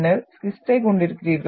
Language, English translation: Tamil, And then you are having schist